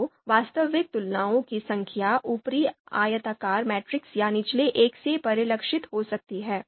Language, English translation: Hindi, So actually, the number of comparisons the number of actual comparisons can be reflected either by the upper rectangular matrix or the lower one